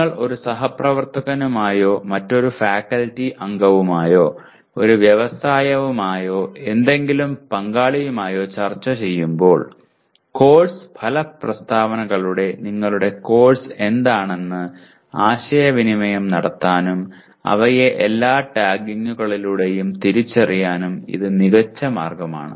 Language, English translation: Malayalam, So this describes when you are discussing with a colleague or another faculty member who is, or with an industry or with any stakeholder this is the best way to communicate to what your course is, through course outcome statements and also identifying all the with all the tags